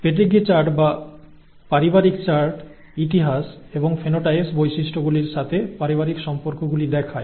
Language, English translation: Bengali, Pedigree charts or family charts show the family relationships over history and phenotypes characters, characteristics